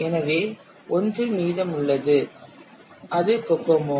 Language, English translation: Tamil, So one was remaining that is Kokomo